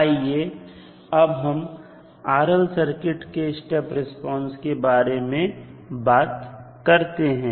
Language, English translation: Hindi, Now, let us talk about step response for a RL circuit